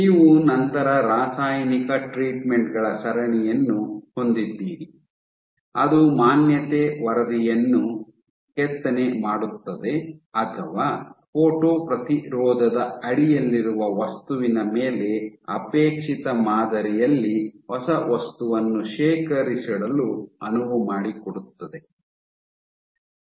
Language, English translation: Kannada, So, then you have various chemical treatments, which either engrave the exposure pattern into or enables deposition of a new material in the desired pattern upon the material under the photo resist ok